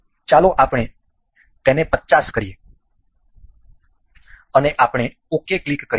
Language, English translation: Gujarati, Let us make it 50 and we will click ok